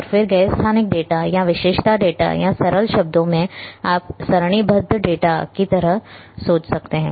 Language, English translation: Hindi, And then associated non spatial data or we call attribute data or in simple terms you can think like a tabular data